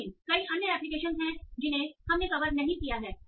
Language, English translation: Hindi, But there are some many other applications that we have not covered